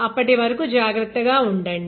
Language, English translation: Telugu, Till then you take care